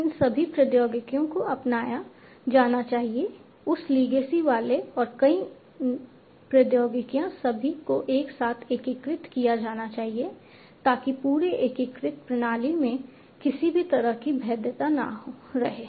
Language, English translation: Hindi, So, all these technologies should be adopted, the newer ones with that legacy ones should be all integrated together leave it without leaving any kind of vulnerability in the whole integrated system